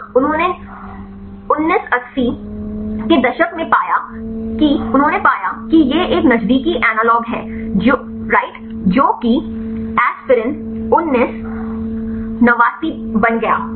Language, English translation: Hindi, Here they found in 1980s they found that this a close analog right then that became aspirin 1989 right